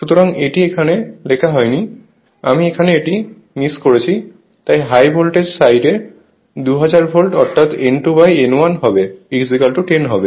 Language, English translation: Bengali, So, it is not written here, I have missed it here so, high voltage side you take 2000 volt; that means, you are; that means, you are N 2 by N 1 is equal to it will be 10 right